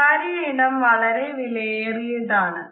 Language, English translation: Malayalam, Personal space is precious